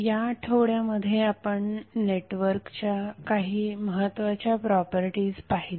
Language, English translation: Marathi, So, in this week we discussed few important properties of the network